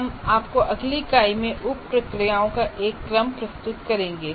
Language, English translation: Hindi, We will present you to present you one sequence of subprocesses in the next unit